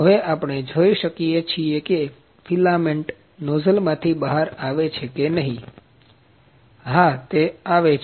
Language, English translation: Gujarati, Now we can see that whether the filament is coming through the nozzle or not, yes it is coming